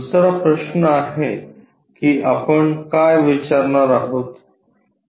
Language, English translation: Marathi, The second question what we are going to ask